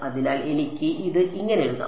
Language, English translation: Malayalam, So, I can further write this as